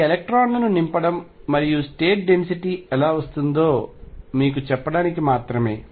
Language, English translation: Telugu, This is just to tell you how the filling of electrons how density of states comes into the picture